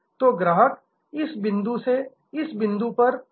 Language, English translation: Hindi, So, that the customer goes from this point to this point